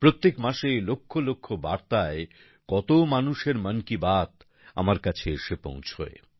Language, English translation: Bengali, Every month, in millions of messages, the 'Mann Ki Baat' of lots of people reaches out to me